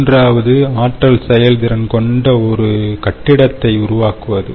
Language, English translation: Tamil, and the third one was for building energy efficiency